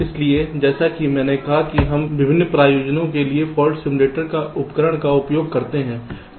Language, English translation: Hindi, so, as i said, we can use the fault simulation tool for various purposes